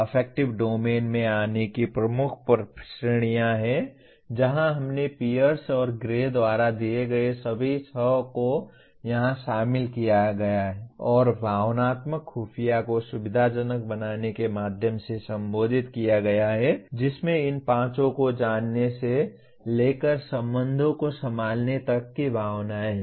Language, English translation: Hindi, Coming to Affective Domain has major categories where we included all the six here as given by Pierce and Gray and is addressed through facilitating Emotional Intelligence which consist of these five from knowing one’s own emotions to handling relations